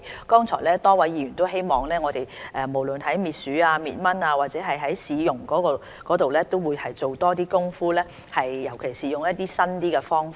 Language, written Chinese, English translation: Cantonese, 剛才多位議員都希望我們無論在滅鼠、滅蚊或市容方面都多做點工夫，尤其是利用一些新的方法。, Just now a number of Members hope we can put in more efforts especially more new methods in the disinfestation of rodents and mosquitoes and the improvement of cityscape